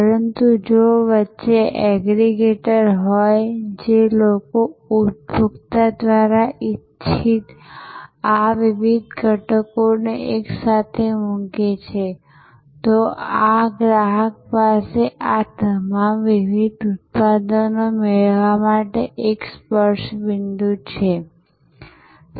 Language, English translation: Gujarati, But, if there are aggregators in between, people who put together these various elements desired by the consumer, then the consumer has one touch point to acquire all these various products